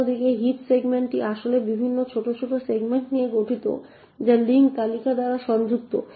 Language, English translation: Bengali, On the other hand the heap segment in fact comprises of various smaller segments which are connected by link list